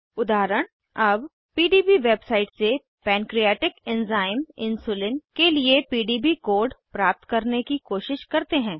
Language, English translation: Hindi, As an example: Let us try to find PDB code for Pancreatic Enzyme Insulin from the PDB website